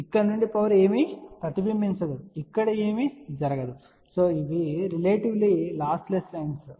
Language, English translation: Telugu, So, power from here nothing is reflected nothing is going over here and these are relatively lossless line